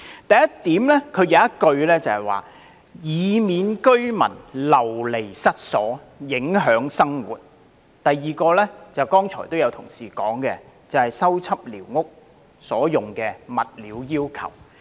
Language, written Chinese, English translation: Cantonese, 第一點載有"以免居民流離失所及影響生活"的措辭，而第二點便一如剛才有議員提到，關乎修葺寮屋所用的物料要求。, Point 1 contains the wording so that residents will not be rendered homeless and their daily lives will not be affected whereas point 2 as some Members have rightly said concerns the material requirements for repairing squatter structures